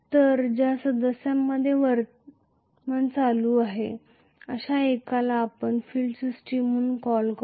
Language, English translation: Marathi, So, we call one of the members which carries the current is as the field system